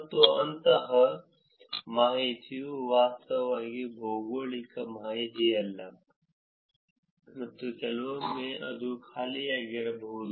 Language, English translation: Kannada, And information like that is actually it is not geographic information at all, and sometimes it could be actually empty